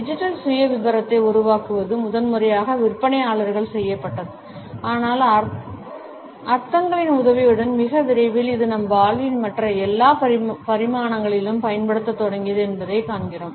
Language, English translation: Tamil, The creation of the digital profile was primarily done by the sales people, but with the help of the connotations we find that very soon it started to be used in almost every other dimension of our life